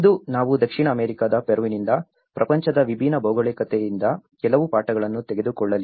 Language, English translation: Kannada, Today, we are going to take some lessons from a very different geography of the world from the South American side the Peru